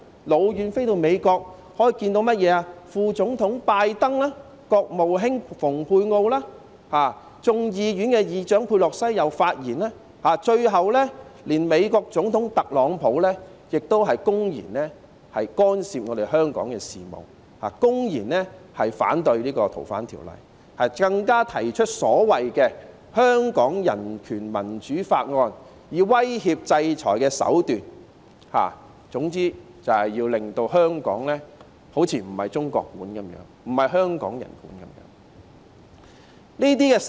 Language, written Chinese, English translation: Cantonese, 是美國副總統拜登、國務卿蓬佩奧，眾議院議長佩洛西亦有發言，最後連美國總統特朗普亦公然干涉香港事務，公然反對《逃犯條例》的修訂，更加提出所謂的《香港人權與民主法案》，使用威脅制裁的手段，總之就要令香港好像不是由中國管治、不是香港人管治一樣。, Also Speaker of the United States House of Representatives Nancy PELOSI had also spoken . Finally even the President of the United States Donald TRUMP had openly interfered with the affairs of Hong Kong and opposed the amendment of FOO . What is more the so - called Hong Kong Human Rights and Democracy Act was proposed threatening to impose sanctions